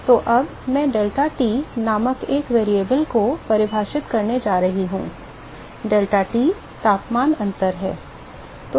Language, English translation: Hindi, So, now, I am going to define a variable called deltaT, deltaT is the temperature difference